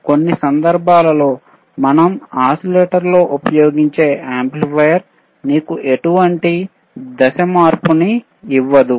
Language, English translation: Telugu, Then we have seen that there are some cases where your amplifier that we use in the oscillator will not give you any phase shift